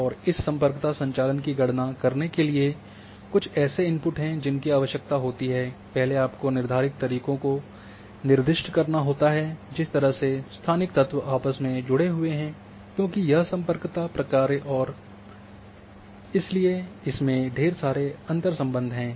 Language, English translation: Hindi, And to calculate this connectivity function there are certain inputs which are required the first one is specify the manure in which the spatial elements are interconnected because this is Connectivity function and therefore, the interconnections are very much